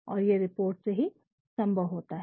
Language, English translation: Hindi, And, that is possible through reports